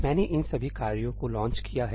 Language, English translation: Hindi, I have launched all these tasks